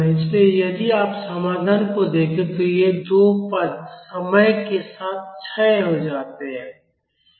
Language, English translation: Hindi, So, if you look at the solution, these two terms they decay with time